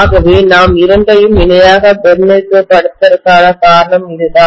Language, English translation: Tamil, So that is the reason why we are essentially representing both of them in parallel